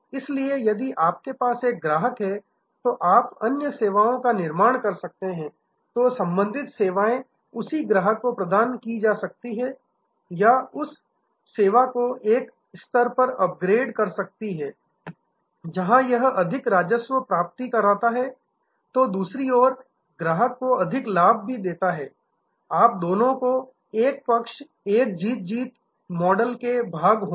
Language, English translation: Hindi, So, if you have a customer and you can build in other services, associated services provided to the same customer or upgrade that service to a level, where it brings in more revenue and on the other hand more advantages to the customer, you will both sides will be in a win win model